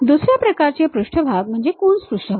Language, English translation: Marathi, The other kind of surfaces are Coons surfaces